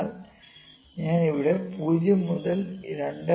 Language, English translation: Malayalam, But I am taking 0 to 2